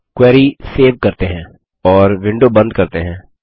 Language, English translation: Hindi, Let us now save the query and close the window